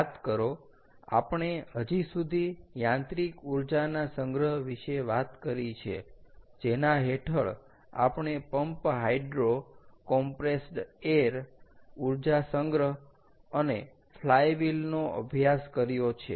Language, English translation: Gujarati, recall, we have so far talked about mechanical energy storage, under which we studied pumped hydro, compressed air energy storage and flywheel